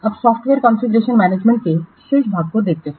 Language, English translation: Hindi, Now let's see the remaining portion of software configuration management